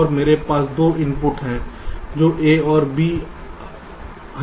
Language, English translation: Hindi, so i apply some inputs, a and b